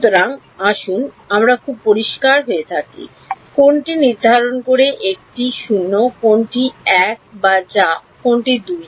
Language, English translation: Bengali, So, let us be very clear what determines which one is 0, which one is 1 which one is 2